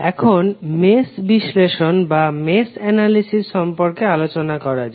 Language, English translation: Bengali, Now, let us talk about mesh analysis